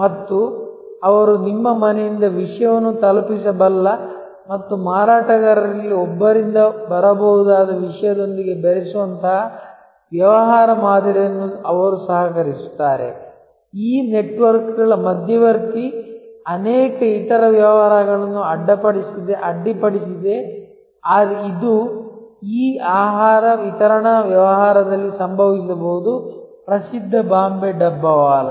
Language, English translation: Kannada, And they co opt, that business model that they can deliver stuff from your home and mix it with stuff that can come from one of the vendors, this intermixing of networks have disrupted many other businesses can it happen in this food delivery business of the famous Bombay Dabbawalas